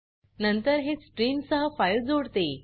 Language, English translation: Marathi, Then it links the file with the stream